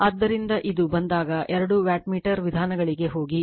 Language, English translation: Kannada, So, whenever whenever this, go for two wattmeter methods